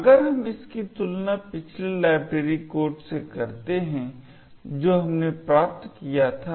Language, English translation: Hindi, and if we actually compare this with the previous library code that we obtained in